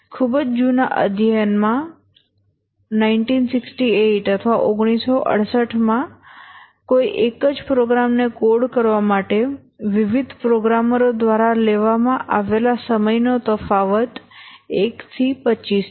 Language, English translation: Gujarati, In a very old study, 1968, the difference in time taken by different programmers to code the same program is 1 is to 25